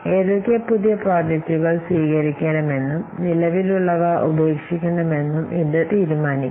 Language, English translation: Malayalam, This will decide which project to accept and which existing project to drop